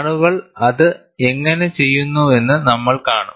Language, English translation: Malayalam, We will see how people have done it